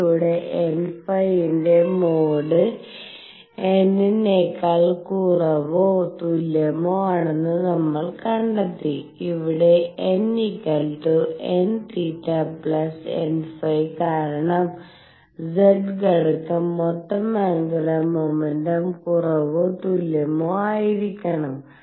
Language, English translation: Malayalam, Through this we also found that mod of n phi was less than or equal to n, where n is equal to n plus n theta plus mod n phi, because z component has to be less than or equal to the total angular momentum